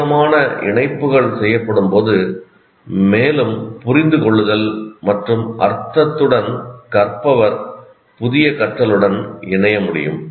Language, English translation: Tamil, So the more connections are made, the more understanding and meaning the learner can attach to the new learning